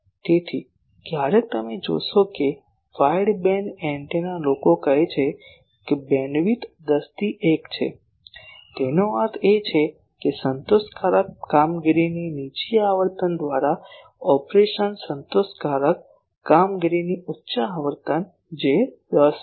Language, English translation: Gujarati, So, sometimes you will see that a wideband antenna people say bandwidth is 10 is to 1; that means upper frequency of operation satisfactory operation by lower frequency of satisfactory operation that is 10 is to 1